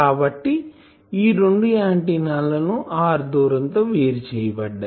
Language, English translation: Telugu, So, this an antenna this is an antenna separated by a distance R